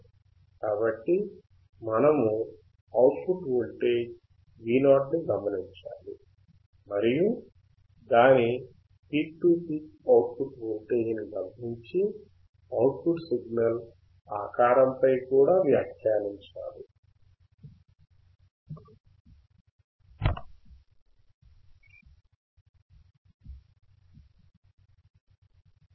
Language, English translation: Telugu, So, we have to observe the output voltage Vout, and note down its peak to peak output voltage and then we also have to comment on the shape of the output signal